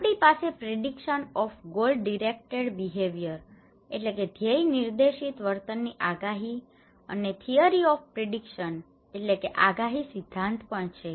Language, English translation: Gujarati, Also we have prediction of goal directed behaviours, theory of predictions